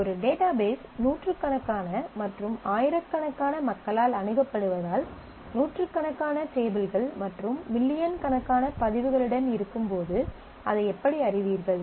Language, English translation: Tamil, So, how do you know that because a database is being accessed by hundreds and thousands of people and with hundreds of tables and millions of records